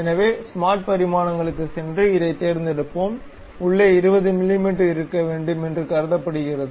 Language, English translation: Tamil, So, let us go smart dimensions pick this one, inside supposed to be 20 mm, done